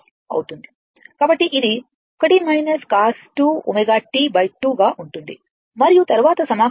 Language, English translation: Telugu, So, it will be 1 minus cos 2 omega t by 2 and then you integrate right